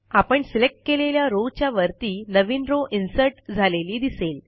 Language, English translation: Marathi, We see that a new row gets inserted just above the selected row